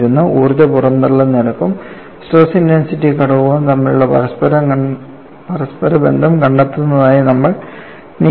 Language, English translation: Malayalam, So, this is a very generic expression in relating energy release rate and stress intensity factor